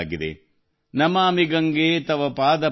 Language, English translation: Kannada, Namami Gange Tav Paad Pankajam,